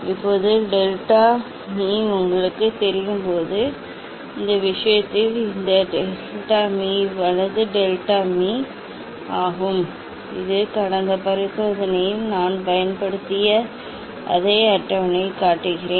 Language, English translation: Tamil, now, you know the delta m Now, in this case it will be delta m right delta m this I am showing this same table as I used in last experiment